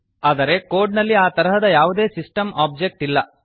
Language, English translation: Kannada, But there is nothing like system object in the code